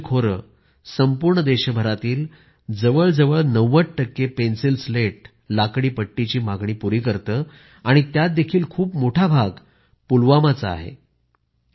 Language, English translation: Marathi, The Kashmir Valley meets almost 90% demand for the Pencil Slats, timber casings of the entire country, and of that, a very large share comes from Pulwama